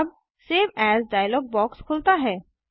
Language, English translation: Hindi, so Save As Dialog box appears